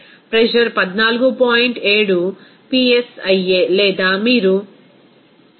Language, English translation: Telugu, 7 psia or you can say that 101